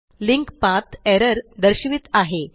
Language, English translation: Marathi, The linked path shows an error